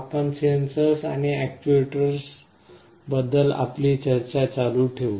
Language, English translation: Marathi, We continue with our discussion on Sensors and Actuators